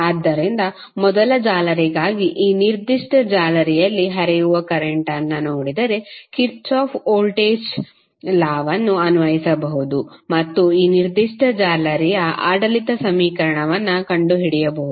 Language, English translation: Kannada, So, for first mesh if you see the current which is flowing in this particular mesh you can apply Kirchhoff Voltage Law and find out the governing equation of this particular mesh